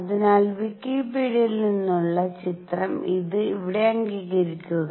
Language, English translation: Malayalam, So, picture from Wikipedia and acknowledge this here